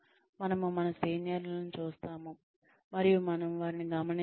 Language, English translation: Telugu, We see our seniors, and we observe them